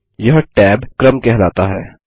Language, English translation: Hindi, This is called the tab order